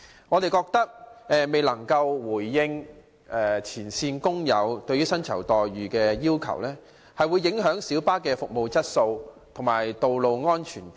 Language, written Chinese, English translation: Cantonese, 我們認為政府未有回應前線司機對薪酬待遇的要求，會影響小巴的服務質素和道路安全。, In our view the Governments failure to respond to frontline drivers demand on remunerations may affect the quality of light bus service and road safety